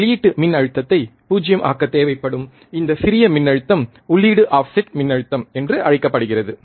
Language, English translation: Tamil, This small voltage that is required to make the output voltage 0 is called the input offset voltage